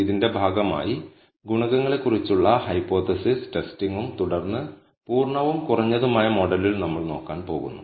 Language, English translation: Malayalam, As a part of this, we are going to look at the hypothesis testing on coefficients and then on the full and reduced model